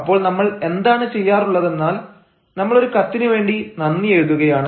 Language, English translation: Malayalam, so what we do is we write thanks for a letter